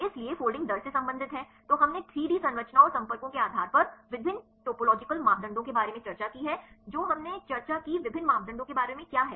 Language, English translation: Hindi, So, there is related with the folding rate right, then we discussed about different topological parameters based on the 3D structures and contacts right what are the different parameters we discussed